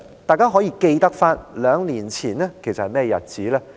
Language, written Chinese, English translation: Cantonese, 大家可還記得兩年前是甚麼日子？, Do Members remember what was special about two years ago today?